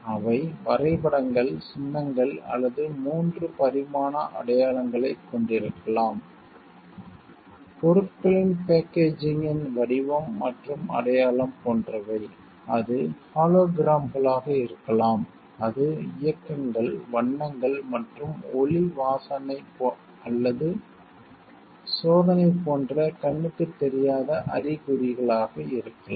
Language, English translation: Tamil, They may consist of drawings, symbols or 3 dimensional signs; such as the shape and sign of a packaging of goods, it can be holograms, it can be motions, colors and non visible signs like sound, smell or test